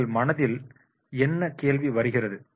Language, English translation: Tamil, So, what question comes in your mind